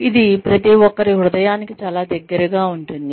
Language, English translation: Telugu, This is something, that is very close to everybody's heart